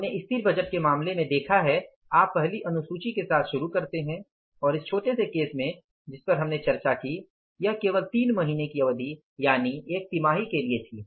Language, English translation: Hindi, We have seen in case of the static budget you start with the first schedule and in this the small cases which we discussed it was only for three months period of time, one quarter